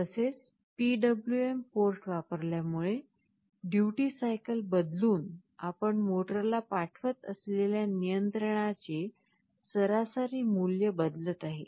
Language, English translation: Marathi, Also because we have used the PWM port, by changing the duty cycle the average value of the control that you are sending to the motor is changing